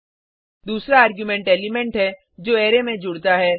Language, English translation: Hindi, 2nd argument is the element which is to be pushed into the Array